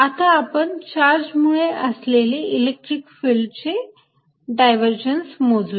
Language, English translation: Marathi, so let us know calculate the divergence of the electric field due to a charge